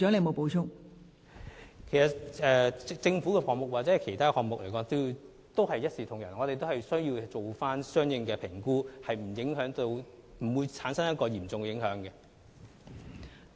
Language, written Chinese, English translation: Cantonese, 我們其實對政府的項目和其他項目都是一視同仁，均會進行相應的評估，以防產生嚴重影響。, We actually treat government projects and other projects equally by undertaking the relevant assessments to avoid the emergence of adverse consequences